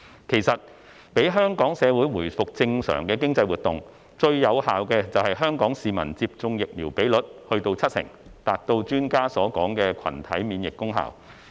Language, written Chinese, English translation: Cantonese, 其實，讓香港社會回復正常的經濟活動，最有效的便是香港市民接種疫苗比率達七成，達到專家所說的群體免疫功效。, In fact the most effective way for Hong Kong to resume normal economic activities is to get 70 % of the local population vaccinated so as to achieve herd immunity as mentioned by experts